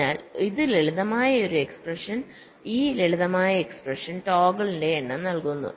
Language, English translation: Malayalam, so this simple, this expression gives the number of toggle